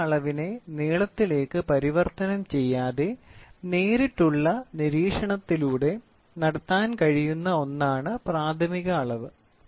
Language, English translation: Malayalam, Primary measurement is one that can be made by direct observation without involving any conversion of the measured quantity into length